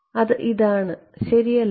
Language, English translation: Malayalam, It is this guy right